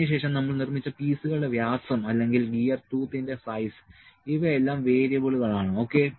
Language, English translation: Malayalam, Then the diameter of the pieces that we have manufactured, the size of the gear tooth and all these are variables ok